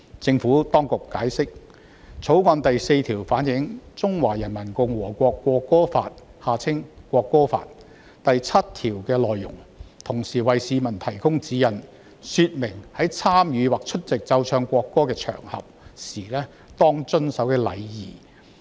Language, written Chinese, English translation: Cantonese, 政府當局解釋，《條例草案》第4條反映《中華人民共和國國歌法》第七條的內容，同時為市民提供指引，說明在參與或出席奏唱國歌的場合時當遵守的禮儀。, The Administration has explained that clause 4 of the Bill reflects Article 7 of the Law of the Peoples Republic of China on the National Anthem and provides guidance for members of the public by describing the etiquette to be followed when taking part in or attending an occasion on which the national anthem is played and sung